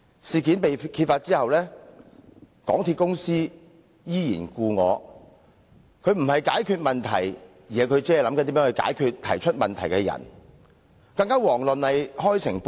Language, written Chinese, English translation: Cantonese, 事件曝光後，港鐵公司行事方式依舊，不但未有解決問題，反而設法針對提出問題的人，更遑論開誠布公。, After this incident came to light MTRCL maintained its usual practice of not addressing the problem but sparing no effort to attack the person who raised the question . MTRCL has in no way been open and transparent